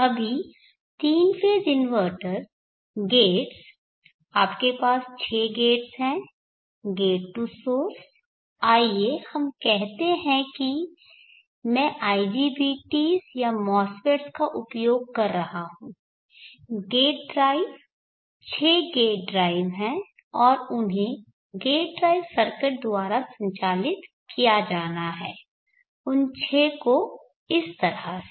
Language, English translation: Hindi, Now the three phase inverter the gates you have six gates gate to source that is a new sign IGPT’s are mass fits the gate drives six gate drives are there and they have to be driven by gate drive circuit six of them like this